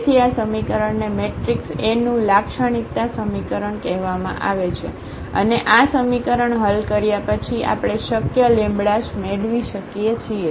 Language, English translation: Gujarati, So, this equation is called characteristic equation of the matrix A and after solving this equation we can get the possible lambdas